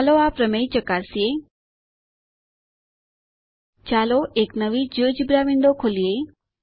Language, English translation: Gujarati, Lets verify the theorem Lets open a new Geogebra window.click on File New